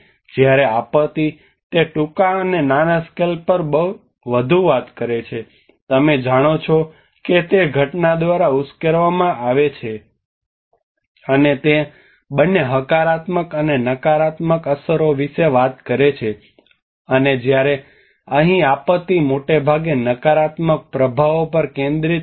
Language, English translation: Gujarati, Whereas disaster it talks more on the shorter and smaller scales you know it triggers by the event and it talks about the both positive and negative effects and whereas here the disaster is mostly focus on the negative impacts